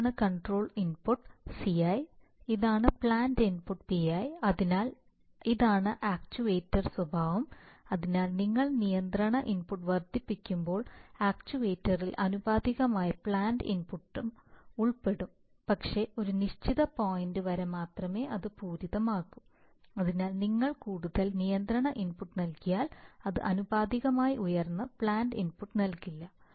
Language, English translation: Malayalam, For example, there can be very often, there can be actuated saturation, that is the characteristic of the, this is the control input CI and this is the plant input PI, so this is the actuator characteristic, so as you increase the control input the actuator will also proportionally include the plant input but only up to a certain point, after which it will saturate, so if you give more and more control input it will not give you proportionally high plant input